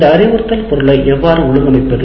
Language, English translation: Tamil, And now how do we organize this instructional material